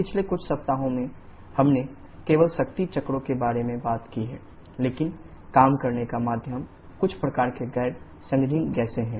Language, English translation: Hindi, Over last few weeks we have talked about the power cycles only but where the working medium is some kind of non condensable gases